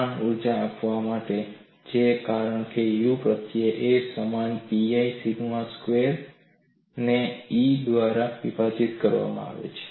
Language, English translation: Gujarati, The strain energy is given as U suffix a equal to pi sigma squared a squared divided by E